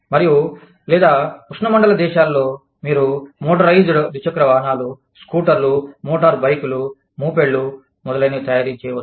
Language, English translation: Telugu, And, in say the, or in the tropical countries, you could be manufacturing, motorized two wheelers, scooters, motorbikes, mopeds, etcetera